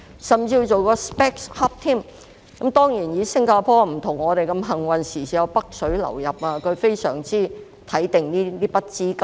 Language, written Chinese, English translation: Cantonese, 新加坡並不如香港般幸運，不時有"北水"流入，現在非常注意這筆資金。, Unlike Hong Kong Singapore is not so lucky to have the inflow of capital from the Mainland from time to time . It has thus heightened its attention on such capital